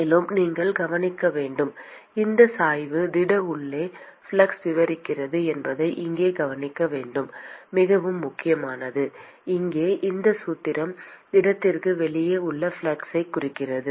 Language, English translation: Tamil, And also you should note it is very important to note here that this gradient describes the flux inside the solid; and this formula here represents the flux just outside the solid